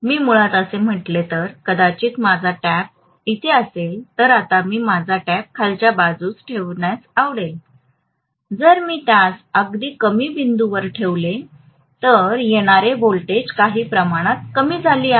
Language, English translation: Marathi, So if I put originally maybe my tap was here, now I might like to put my tap at a lower point, if I put it at a lower point even the incoming voltage is decreased somewhat